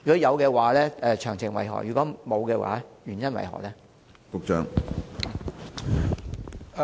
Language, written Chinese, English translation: Cantonese, 如會，詳情為何；如否，原因為何？, If they will do so what are the details; if not what are the reasons?